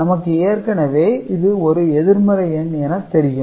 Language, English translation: Tamil, So, this is the positive number